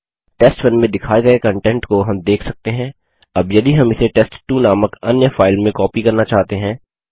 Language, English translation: Hindi, As we can see the content of test1 is shown, now if we want to copy it into another file called test2 we would write